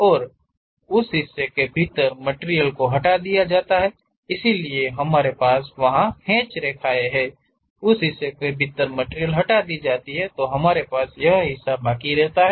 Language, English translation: Hindi, And material is removed within that portion, so we have those hatched lines; material is removed within that portion, we have this portion